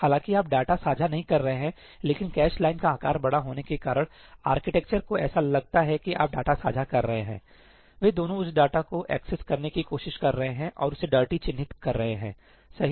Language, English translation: Hindi, Even though you are not sharing the data, but because of the cache line size being large, to the architecture it seems that you are sharing data both of them are trying to access that data and marking it dirty, right